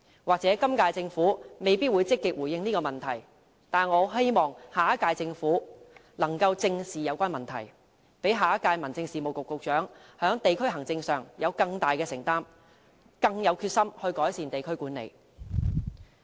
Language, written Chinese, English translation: Cantonese, 或許今屆政府未必會積極回應這個問題，但我希望下屆政府能正視有關問題，讓下屆民政事務局局長在地區行政上，有更大的承擔，更有決心改善地區管理。, Perhaps the incumbent Government may not respond to this issue proactively yet I hope the next Government will face up to the problem squarely so that the Secretary for Home Affairs in the next term will have greater commitment in district administration and stronger resolve to improve district management